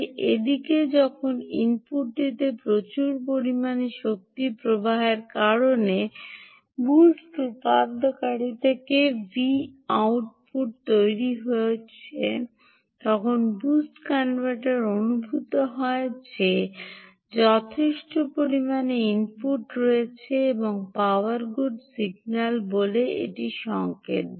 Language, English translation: Bengali, meanwhile, when the output from the boost convertor starts to build up because of a copious energy flow at the input, the boost converter senses that there is sufficiently good input and gives a signal out called the power good signal